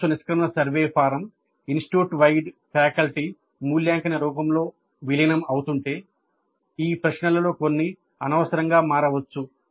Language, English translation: Telugu, Now it is possible that if the course exit survey form is getting integrated into an institute wide faculty evaluation form, some of these questions may become redundant